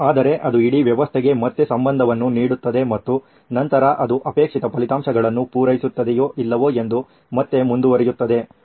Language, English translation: Kannada, But it sort of ties back in to the whole system and then again it flows back into whether the desired results are met or not